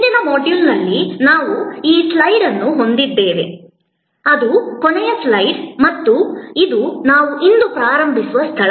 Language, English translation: Kannada, In the last module we had this slide, which was the ending slide and this is, where we start today